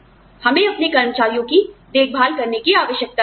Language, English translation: Hindi, You know, we need to look after our employees